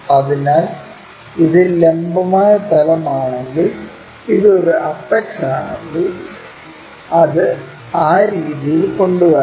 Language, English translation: Malayalam, So, we have to make if this is the vertical plane, if this one is apex it has to be brought in that way